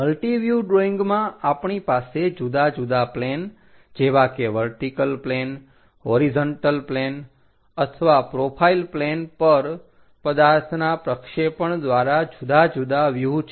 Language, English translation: Gujarati, In multi view drawing we have different views by projecting it on different planes like vertical plane, horizontal plane or profile plane